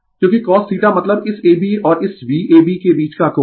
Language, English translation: Hindi, Because, cos theta means angle between your this I ab and this your V ab